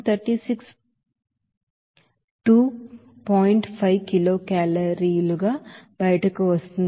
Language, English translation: Telugu, 5 kilo calorie